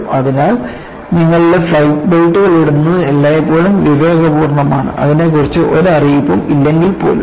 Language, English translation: Malayalam, So,it is always prudent to put your flight belts on, even when there is no announcement regarding that